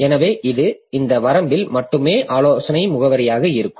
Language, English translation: Tamil, So it will be consulting addresses in this range only